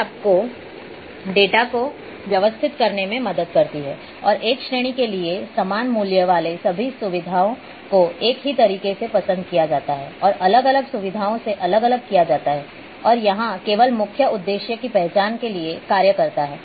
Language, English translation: Hindi, These help to organize and make sense of your data all features with same value for a category are liked in the same way and different from and different features and each serves only to identify the main purpose here, is to identify